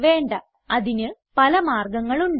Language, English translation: Malayalam, No, there are a number of solutions